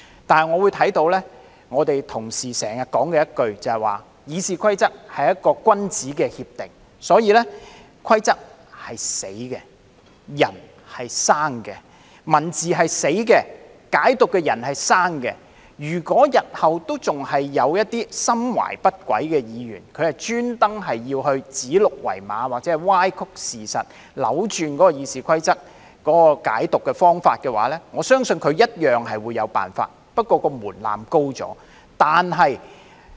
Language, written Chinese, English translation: Cantonese, 不過，我聽到同事經常說，《議事規則》是君子協定，所以"規則是死的，人是生的"，"文字是死的，解讀的人是生的"，如果日後仍有一些心懷不軌的議員故意指鹿為馬或歪曲事實，扭轉《議事規則》的解讀方法的話，我相信他一樣會有辦法，但相關門檻提高了。, However I have heard colleagues mention frequently that RoP is a gentlemans agreement so rules are rigid but people are flexible and words are rigid but people can interpret them flexibly . If in the future there are still some ill - intentioned Members who deliberately call a stag a horse or distort the facts to twist the interpretation of the RoP I believe they can also find a way to do so but the threshold for doing so has been raised